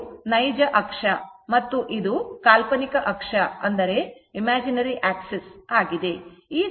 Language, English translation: Kannada, This is real axis, this is imaginary axis, right